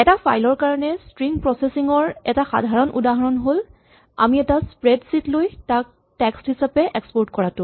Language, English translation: Assamese, A typical use of string processing for a file is when we take something like a spread sheet and export it as text